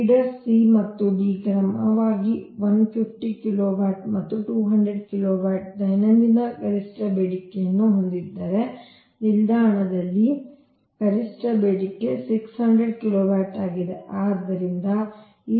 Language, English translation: Kannada, feeder c and d have a daily maximum demand of o e, fifty kilowatt and two hundred kilowatt respectively, while the maximum demand on the station is six hundred kilowatt right